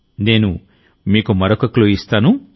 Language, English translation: Telugu, Let me give you another clue